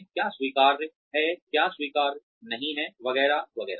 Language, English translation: Hindi, What is acceptable, what is not acceptable, etcetera, etcetera